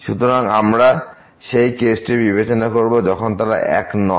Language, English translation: Bengali, So, we will consider the case when they are not same